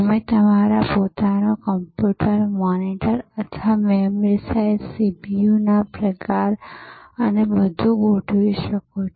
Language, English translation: Gujarati, You can configure your own computer, the monitor or the memory size, the kind of CPU and everything